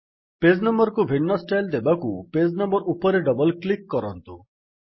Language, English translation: Odia, In order to give different styles to the page number, double click on the page number